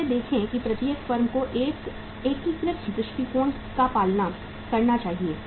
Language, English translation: Hindi, Like see every firm should follow a integrated approach